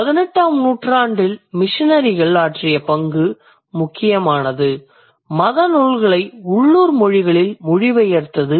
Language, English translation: Tamil, And a major role that missionaries played in 18th century, they translated religious books into local languages